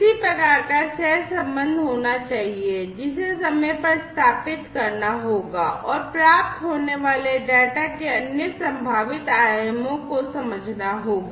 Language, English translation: Hindi, There has to be some kind of correlation, which will have to be established in space in time and other possible dimensions of the data that is received